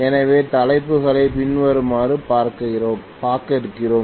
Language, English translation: Tamil, So we are going to look at the topics as follows